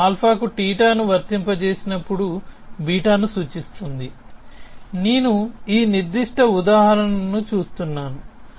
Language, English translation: Telugu, It says that when I apply theta to alpha implies beta I am looking at this specific example